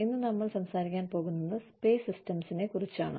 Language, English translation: Malayalam, Today, we are going to talk about, pay systems